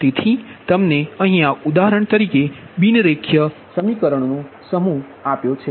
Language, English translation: Gujarati, so for example, you take given a set of non linear equations